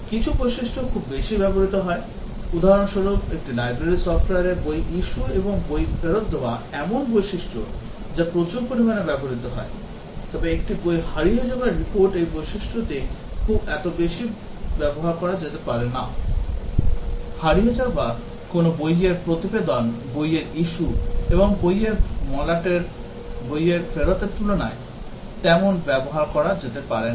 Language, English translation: Bengali, Some features is used very heavily, for example, in a library software, book issue and book return are features that are used heavily, but a book lost report feature may not be used that much; reporting a book lost may not be used that much compared to a book issue and book return